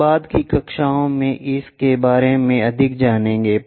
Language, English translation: Hindi, We will learn more about that in the later classes